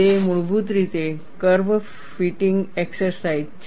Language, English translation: Gujarati, It is essentially a curve fitting exercise